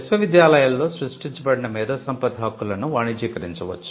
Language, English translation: Telugu, The intellectual property rights that are created in the universities could be commercialized